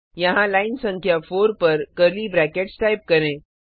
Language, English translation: Hindi, Suppose here, at line number 4 we miss the curly brackets